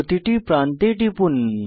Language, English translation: Bengali, Click on each edge